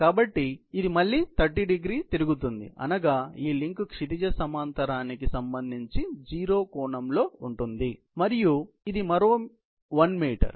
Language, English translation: Telugu, So, this rotates again by 30º, meaning thereby, that this link is at 0 angle with respect to the horizontal and this is about another 1 meter